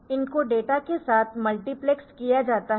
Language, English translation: Hindi, So, this these are multiplexed with data